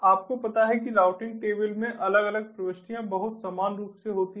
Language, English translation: Hindi, these routing tables have their routing table entries, you know, different entries in the routing table